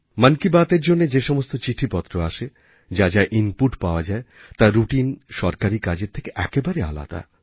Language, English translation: Bengali, The letters which steadily pour in for 'Mann Ki Baat', the inputs that are received are entirely different from routine Government matters